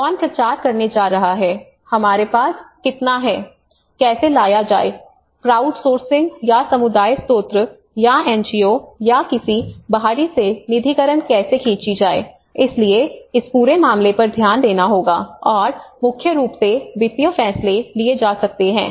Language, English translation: Hindi, Who is going to promote, how much we have, how to bring, how to pull out funding from the crowdsourcing or the community sources or an NGOs or an external so this whole thing has to be looked at and mainly the financial decisions may be taken at different points in the cycle, so one has to keep reviewing intermediately